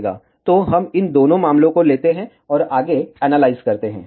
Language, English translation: Hindi, So, let us take both these cases and analyse further